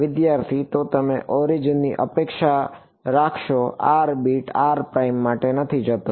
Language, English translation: Gujarati, So, you would expect to the origin r does not go for bit r prime